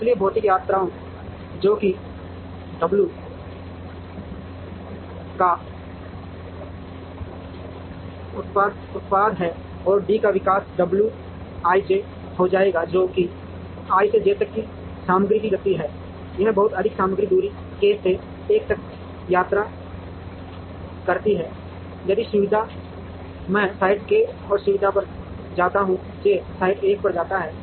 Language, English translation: Hindi, Therefore, the material travel which is the product of w’s and the d’s will become w i j, which is the material movement from i to j, this much material travels a distance k to l if facility i goes to site k and facility j goes to site l